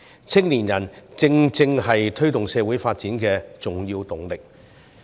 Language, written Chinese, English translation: Cantonese, 青年人正正是推動社會發展的重要動力。, Young people are important drivers of social advancement